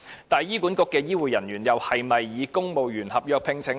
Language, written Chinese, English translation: Cantonese, 但是，醫管局的醫護人員又是否以公務員合約聘請呢？, But are HA health care workers employed on civil service contracts?